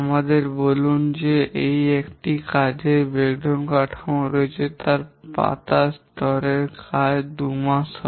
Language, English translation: Bengali, Let's say we have a work breakdown structure where the leaf level work is two months